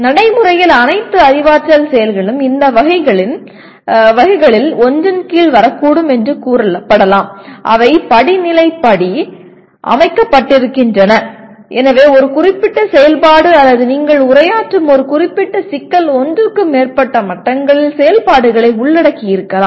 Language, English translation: Tamil, And practically all cognitive actives can be it is claimed can be can come under one of these categories and they are hierarchically arranged so a particular activity or a particular problem that you are addressing may involve activities at more than one level